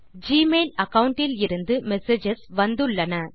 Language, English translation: Tamil, We have received messages from the Gmail account